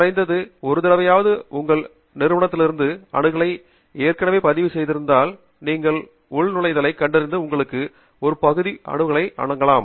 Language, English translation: Tamil, if you have already registered for access through your Institute, at least once, then it may effect that you have logged in and the provide you partial access